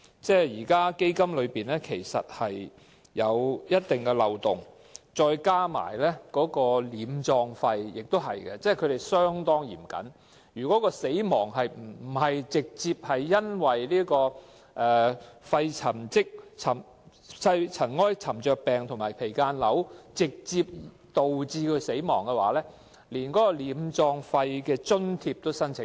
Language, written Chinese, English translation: Cantonese, 現時基金存有一定漏洞，再加上殮葬費的規定也是相當嚴謹，如果病人不是直接因為肺塵埃沉着病或間皮瘤導致死亡，連殮葬費的津貼也無法申請。, At present the Fund has certain loopholes and the requirements for allowance for funeral expenses are strict as one cannot apply for such allowance if the patient concerned did not die directly of pneumoconiosis or mesothelioma